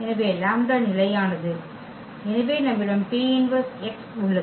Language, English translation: Tamil, So, the lambda is constant so, we have P inverse x there